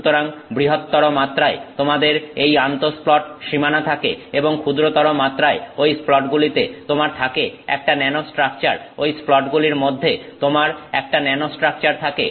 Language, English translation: Bengali, So, largest scale you have these inter splat boundaries, at the smaller scale you have a nanostructure within those splats, you have a nanostructure within those splats